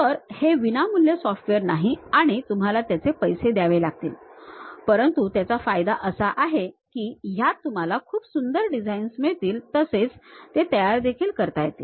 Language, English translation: Marathi, So, it is not a free software you have to pay but the advantage is you will have very beautiful designs one can construct it